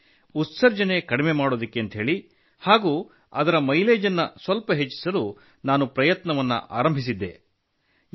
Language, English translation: Kannada, Thus, in order to reduce the emissions and increase its mileage by a bit, I started trying